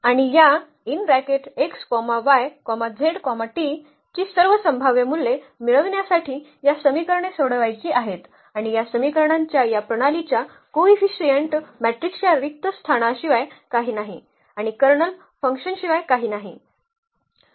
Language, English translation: Marathi, And we want to now solve these equations to get all possible values of these x, y, z and t and this is nothing but the null space of the coefficient matrix of the coefficient matrix of this of this system of equations and that is nothing but the Kernel of F